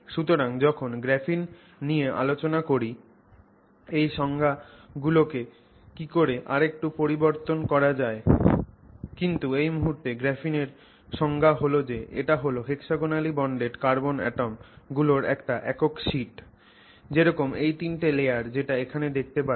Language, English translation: Bengali, So, when we discuss graphene we will look at this a little bit more on how those definitions can be modified a bit but for the moment our definition of graphene is a single sheet of hexagonally bonded carbon atoms such as the one that you suggest the three layers that you see here